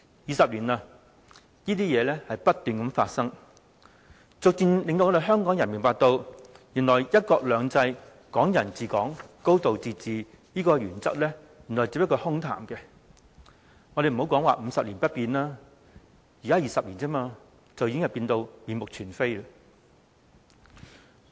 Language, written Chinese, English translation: Cantonese, 二十年了，這些事情不斷發生，逐漸令香港人明白到，原來"一國兩制、港人治港、高度自治"的原則只是空談，不要說50年不變，只是20年，已經變到面目全非。, More than 20 years have passed and such incidents have never stopped . Hong Kong people gradually realize that the principles of one country two systems Hong Kong people ruling Hong Kong and a high degree of autonomy are only empty talks . Dont tell us about Hong Kong remaining unchanged for 50 years in just 20 years Hong Kong has changed beyond recognition